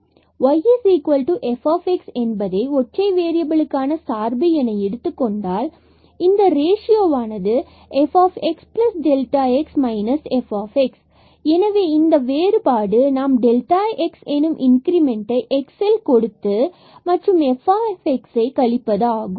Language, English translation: Tamil, So, let f x y is equal to f x be a function of single variable and if this ratio f x plus delta x minus f x; so this difference when we make an increment delta x in x and minus the f x the value at x divided by this increment